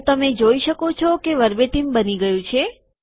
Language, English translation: Gujarati, So you can see that the verbatim is created